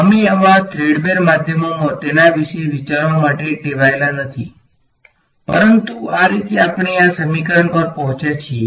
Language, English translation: Gujarati, We are not used to thinking about it in such threadbare means, but that is how we arrived at this equation right